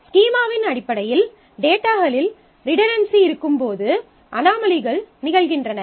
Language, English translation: Tamil, So, the anomalies happen when there is redundancy in the data in terms of the schema